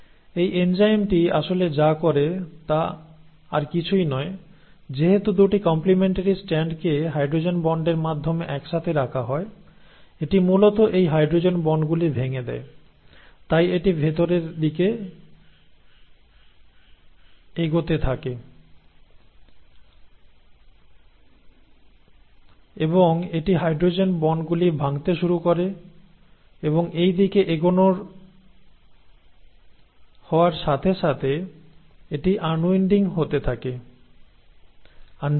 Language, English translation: Bengali, So what this enzyme really does is nothing but, since the 2 strands are held together the complementary strands are held together through hydrogen bonds, it basically breaks these hydrogen bonds, so it starts moving inwards, so it would have first bound here, starts moving inwards and it starts breaking the hydrogen bonds and as it moves in this direction it keeps unwinding, keeps unzipping